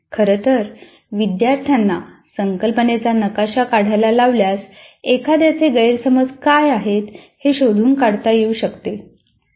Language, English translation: Marathi, In fact, making students to draw a concept map, one can find out what are the misunderstandings of the individual